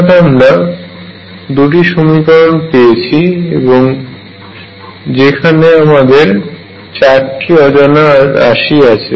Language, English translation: Bengali, So, I have gotten two equations, still there are four unknowns